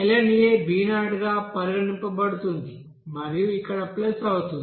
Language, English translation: Telugu, And ln a we will be considering as b0 and here thus plus